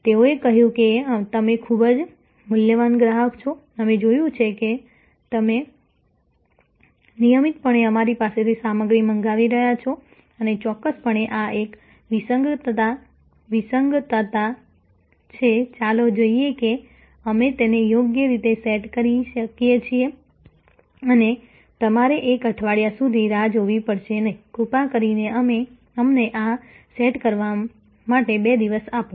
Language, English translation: Gujarati, They said you are a very valuable customer, we see that you have been regularly ordering stuff from us and will definitely this is an anomaly, let us see if we can set it right and you do not have to wait for one week, please give us 2 days to set this right